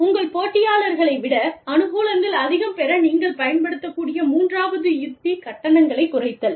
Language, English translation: Tamil, The third strategy, that you can use, in order to gain advantage, over your competitors is, cost reduction